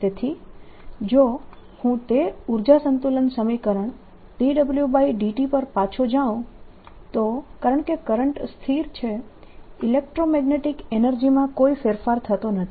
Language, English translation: Gujarati, so if we, if i go back to that energy balance equation d w by d t, since the current is steady, there's no change in the electromagnetic energy